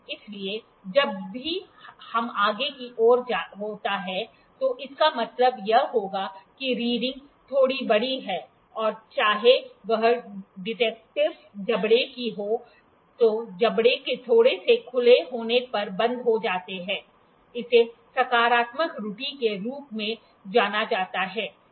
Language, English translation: Hindi, So, whenever it is forward, it would mean that the reading is a little larger whether it of the detective jaws which are closed when the jaws are open in little this is known as positive error